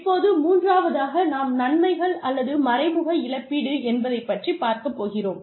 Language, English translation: Tamil, The third one here is, benefits or indirect compensation